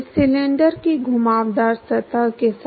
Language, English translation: Hindi, Along the curved surface of this cylinder